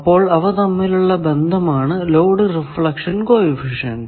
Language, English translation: Malayalam, So, there is a load reflection coefficient